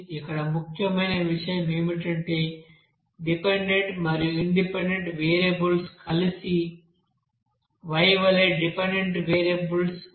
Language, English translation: Telugu, Here see important thing is that dependent and independent variables combinely you know that they can form one dependent variables here as Y